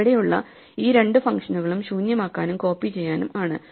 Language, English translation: Malayalam, We need to just see these two functions here make empty and copy right